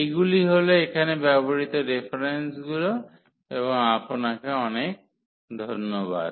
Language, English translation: Bengali, So, these are the references used and thank you very much